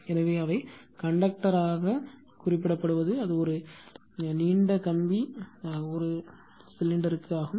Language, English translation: Tamil, So, conductor they are conductor can be represented that is a long wire represented by cylinder right